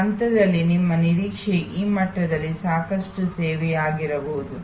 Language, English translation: Kannada, At that stage may be your expectation is at this level adequate service